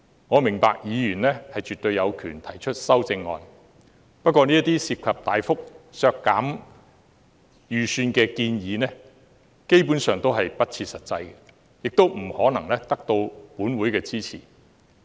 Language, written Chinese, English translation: Cantonese, 我明白議員絕對有權提出修正案，不過這些涉及大幅削減預算開支的建議，基本上都是不切實際，亦不可能得到立法會的支持。, I understand that Members are perfectly entitled to propose amendments . However these amendments involving substantial reduction of the estimated expenditures are basically unrealistic and unable to obtain support in the Legislative Council